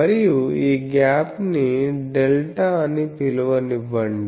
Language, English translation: Telugu, And let us say this gap is something like delta let me call